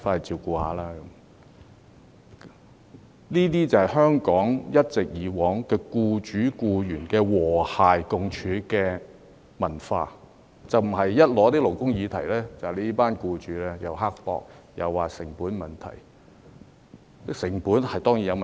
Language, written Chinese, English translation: Cantonese, 這是香港以往一直以來，僱主與僱員的和諧共處的文化，而不是每當提出勞工議題，便說僱主必然是刻薄，又會推說成本問題。, This is the kind of harmonious employer - employee culture that has existed in Hong Kong all along as opposed to the criticism we have heard in every discussion on labour issues that employers are always mean and will put forth costs as an excuse